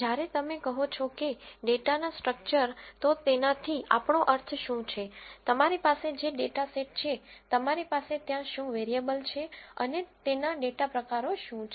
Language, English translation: Gujarati, When you say structure of data what do we mean by that is in the data set you have what are the variables that are there, and what are their data types